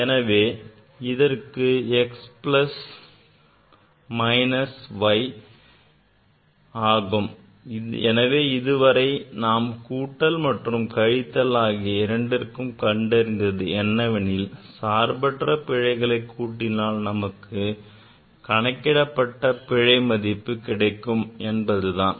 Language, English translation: Tamil, So, this for x plus minus y, so this; so whatever we have learned that for summation and subtraction, these absolute errors are added for getting the error in the calculated parameter